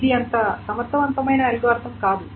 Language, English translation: Telugu, So that is the entire algorithm